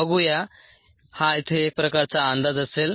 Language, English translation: Marathi, this will be some sort an estimate here